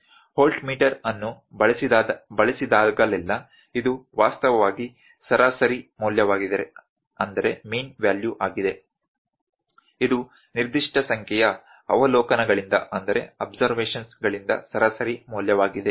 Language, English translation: Kannada, Whenever the voltmeter is used, this is actually the mean value; this is a mean value from certain number of observations